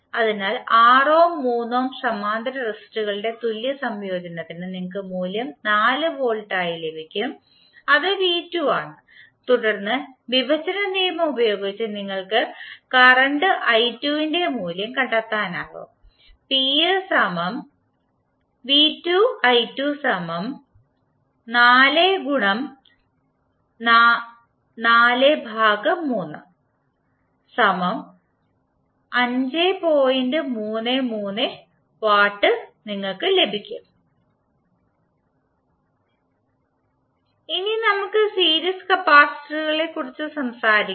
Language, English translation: Malayalam, So you get the value as 2 Volt for the, the equivalent combination of 6 Ohm and 3 Ohm parallel resistors, you get the value of V2 as 4pi, then using current division rule, you can find the value of current i2 and now using the formula p is equal to v2i2 you can find out the value of power dissipated in the resistor